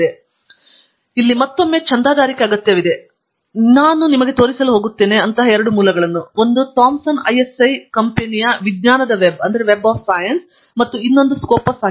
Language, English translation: Kannada, So, here again subscription is required, and two such sources I am going to show you: one is the Thomson ISI company’s Web of Science and the other is Scopus